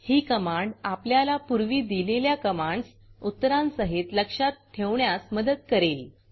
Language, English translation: Marathi, This will helps remember command which were previously issued along with the outputs